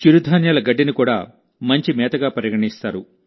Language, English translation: Telugu, Millet hay is also considered the best fodder